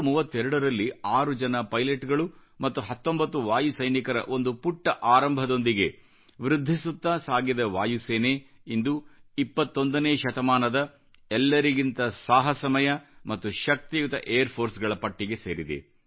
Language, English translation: Kannada, Making a humble beginning in 1932 with six pilots and 19 Airmen, our Air Force has emerged as one of mightiest and the bravest Air Force of the 21st century today